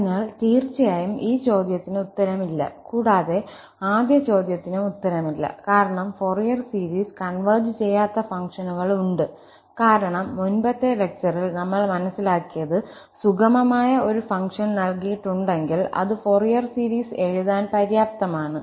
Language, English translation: Malayalam, So, definitely the answer is no to this question and also the answer is no to the first question also, because there are functions whose Fourier series does not converge at all, because what we have realized already in the previous lecture that given a function which is piecewise smooth, that is sufficient to write the Fourier series